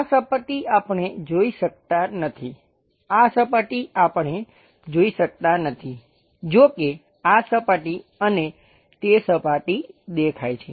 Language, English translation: Gujarati, This surface we cannot visualize, this surface we cannot visualize; however, this surface and that surface predominantly visible